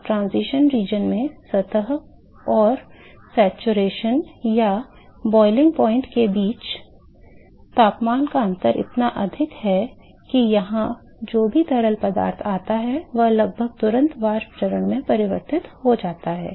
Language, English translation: Hindi, Now in transaction region, the temperature difference between the surface and the saturation or the boiling point temperature is so, high, that whatever fluid that comes here is now going to be almost instantaneously converted into vapor phase